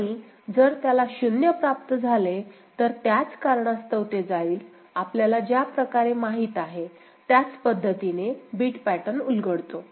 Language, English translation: Marathi, And if it receives 0, it goes to a because of the same reason, the way we have said the you know, bit pattern unfolds ok